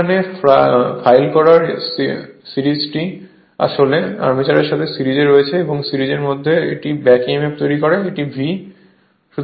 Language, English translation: Bengali, Here series filed is in series with the armature it is in series right and this is your back emf and this is V